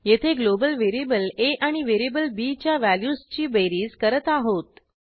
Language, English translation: Marathi, Here we add the values of global variable a and variable b